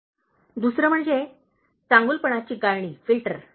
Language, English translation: Marathi, “Second is the filter of goodness